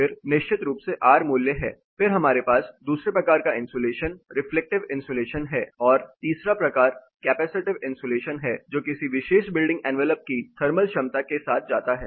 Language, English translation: Hindi, Then are the r value of course, then we have a second type of insulation which is a reflective insulation and the third type which is capacitive insulation which goes on with the thermal capacity of a particular building envelope